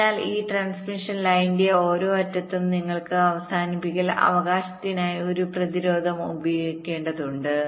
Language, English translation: Malayalam, so at the each of the end of this transmission line you can, you have to use a resistance for termination, right